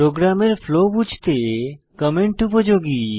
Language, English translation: Bengali, Comments are useful to understand the flow of program